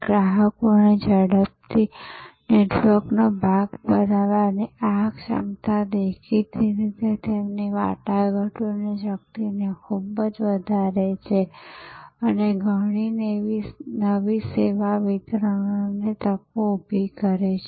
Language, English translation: Gujarati, This ability of consumers to quickly become part of a network; obviously, highly enhances their negotiating power and creates many new service delivery opportunities